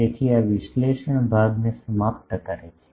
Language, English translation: Gujarati, So, this concludes the analysis part